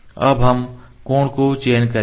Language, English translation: Hindi, Then we will select the angle ok